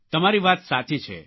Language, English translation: Gujarati, You are right